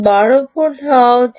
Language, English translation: Bengali, it should be twelve volts